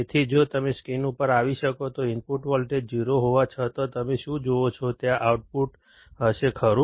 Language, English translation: Gujarati, So, if you can come on the screen what do you see is even though the input voltage is 0, there will be an output, right